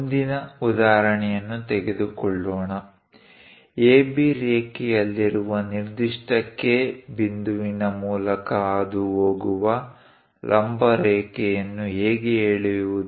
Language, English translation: Kannada, Let us take next example, how to draw a perpendicular line passing through a particular point K, which is lying on AB line